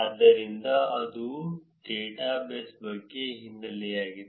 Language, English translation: Kannada, So, that is the background about the dataset